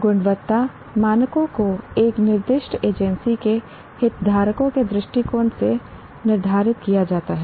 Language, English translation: Hindi, Quality standards are set by a designated agency from the perspective of stakeholders